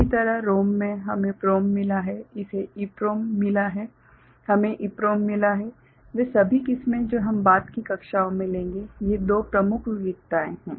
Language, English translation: Hindi, Similarly in ROM we have got PROM we have got EPROM, all those varieties we shall take up in the subsequent classes so, these are the two major variety